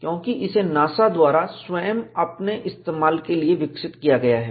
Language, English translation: Hindi, Because, this is developed by NASA, for their own use